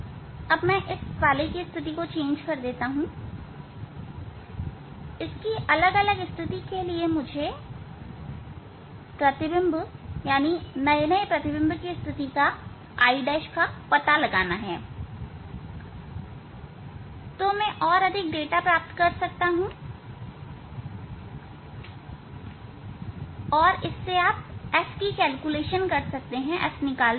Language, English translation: Hindi, Now, I am just changing the position of this one different position of this one and I have to find out the position of the image new image I dash and then I can get mode say sub data and then you can calculate the f find out the